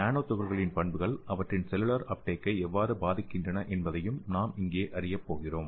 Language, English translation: Tamil, And here the nano particles properties play a major role in this cellular uptake